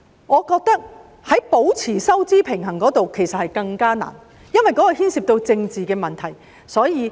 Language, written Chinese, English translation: Cantonese, 我認為保持收支平衡其實更加困難，因為當中牽涉政治問題。, I think maintaining a balance of payments is even more difficult because it involves political issues